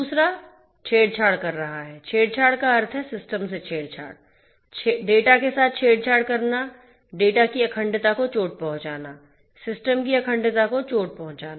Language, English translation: Hindi, Second is tampering; tampering means tampering with the system tampering with the data to hurt the integrity of the data, to hurt the integrity of the system